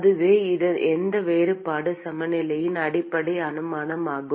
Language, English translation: Tamil, And that is the basic assumption of any differential balance